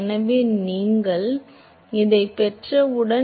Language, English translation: Tamil, So, once you have this